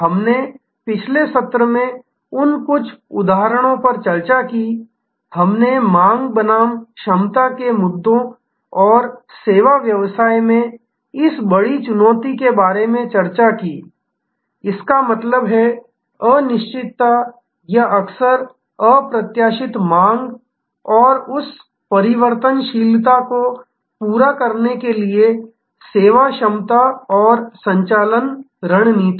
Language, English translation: Hindi, We discussed some of those examples in the previous session, we discussed a lot about demand versus capacity issues and how this big challenge in the service business; that means, indeterminate or often unpredictable demand and the service capacity and operation strategies to meet that variability